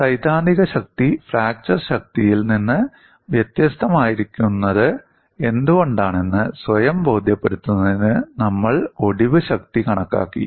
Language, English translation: Malayalam, We have actually calculated the fracture strength to convince our self why the theoretical strength is different from the fracture strength